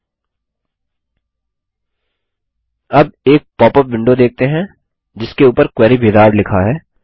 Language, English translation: Hindi, Now, we see a popup window that says Query Wizard on the top